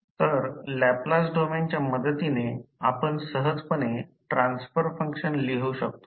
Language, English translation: Marathi, So, with the help of this in Laplace domain we can get easily the transfer function